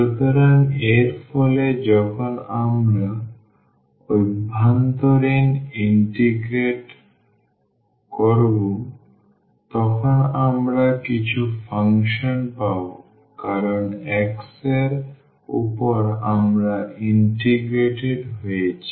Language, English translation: Bengali, So, as a result when we integrate the inner one we will get some function because, over x we have integrated